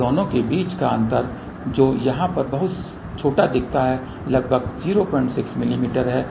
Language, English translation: Hindi, And the gap between the two which looks very small over here is about 0 point 6 mm